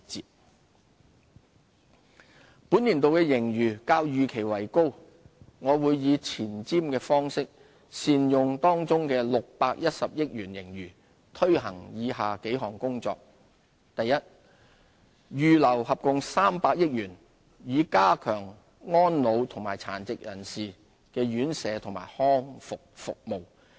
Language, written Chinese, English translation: Cantonese, 盈餘運用本年度的盈餘較預期為高，我會以前瞻方式善用當中610億元盈餘，推行以下數項工作：一預留合共300億元，以加強安老和殘疾人士的院舍和康復服務。, Given the higher - than - expected surplus for this financial year I will take a forward - looking approach to put 61 billion of the surplus to good use by implementing the following a earmarking a total of 30 billion to strengthen elderly services and rehabilitation services for persons with disabilities